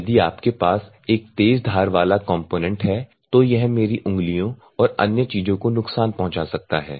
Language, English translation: Hindi, If you have a sharp edge component it may damage my fingers and other things